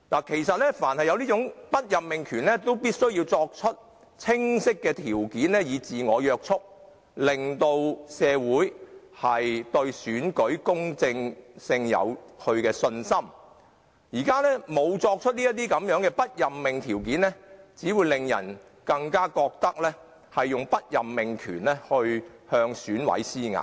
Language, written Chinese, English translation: Cantonese, 舉凡有此種不任命權，掌權者均須訂明清晰的準則自我約束，令社會人士對選舉公正有信心，現時沒有訂出不任命的準則，只會令人更覺得中央以不任命權來向選委施壓。, For authorities with the power of not appointing the elected candidate clear criteria should be laid down for the purpose of self - restraint so as to gain the publics confidence in the fairness of the election . Without the criteria for not appointing the elected candidate it will only give people the impression that the Central Authorities are exerting pressure on EC members by threatening not to appoint certain candidates